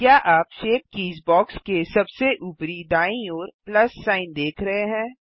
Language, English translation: Hindi, Do you see the plus sign at the far right of the shape keys box